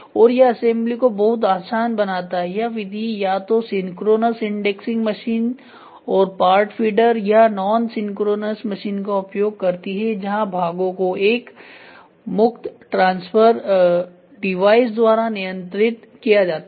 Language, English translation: Hindi, And this makes the assembly very easy this method uses either synchronous indexing machines and part feeders or non synchronous machine where parts are handled by a free transfer device